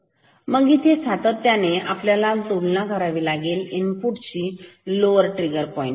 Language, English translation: Marathi, So, here we are continuously comparing the input with the lower trigger point